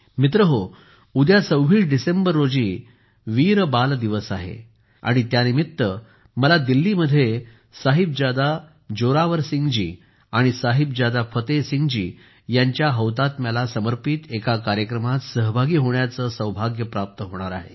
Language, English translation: Marathi, Friends, tomorrow, the 26th of December is 'Veer Bal Diwas' and I will have the privilege of participating in a programme dedicated to the martyrdom of Sahibzada Zorawar Singh ji and Sahibzada Fateh Singh ji in Delhi on this occasion